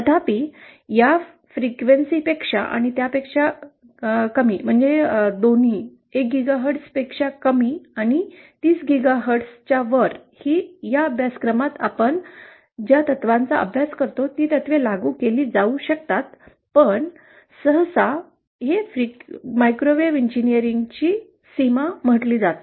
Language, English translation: Marathi, Although, both lower than this frequency and above lower than 1 GHz and above 30 GHz also, the principles that we study in this course can be applied but usually this is taken as the boundary of the microwave engineering